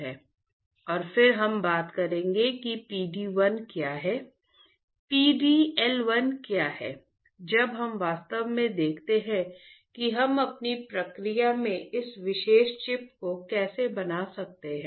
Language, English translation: Hindi, And, then we will talk about what is PD 1, what is PD L1 ; when we actually see how we can fabricate this particular chip in our process